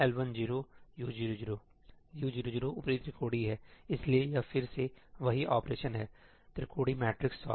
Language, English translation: Hindi, U 0 0 is upper triangular, so, this is again the same operation Triangular Matrix Solve